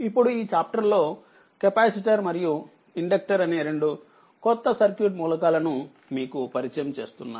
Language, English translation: Telugu, So, in this chapter we shall introduce that two additional circuit elements that is your capacitors and inductors right